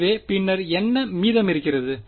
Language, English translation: Tamil, So, then what remains